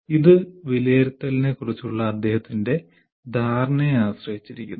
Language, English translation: Malayalam, It depends on his perception of the assessment